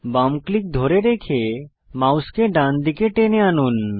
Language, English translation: Bengali, Hold left click and drag your mouse to the right